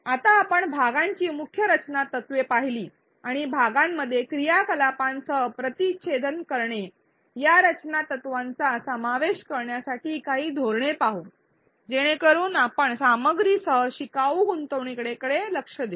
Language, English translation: Marathi, Now, that we saw the key design principles of chunking and interspersing the chunk with activities, let us look at some strategies to incorporate these design principles so, that we address learner engagement with the content